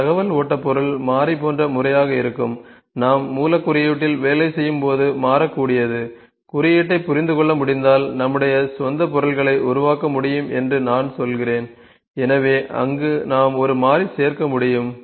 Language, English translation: Tamil, Some of the information flow object would be method like then we have variable, variable is when we can work on the source code , I can if I am saying that we can make our own objects if we can understand the code; so there we can add a variable